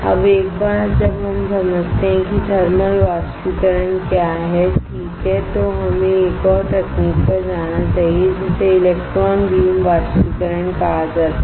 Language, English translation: Hindi, Now, once we understand what is thermal evaporator right we should go to another technique that is called electron beam evaporation